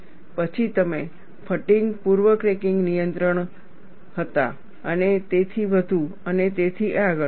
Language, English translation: Gujarati, Then, you had fatigue pre cracking restrictions, and so on and so forth